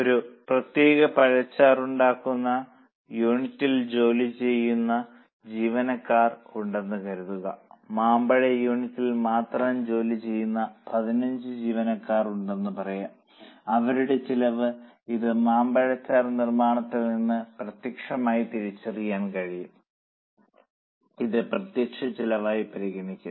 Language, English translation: Malayalam, Suppose there are employees who work on a specific pulp making unit, let us say there are 15 employees who are only working in mango unit, then their cost you know that this is specifically identifiable to mango pulp making, then that will be considered as a direct cost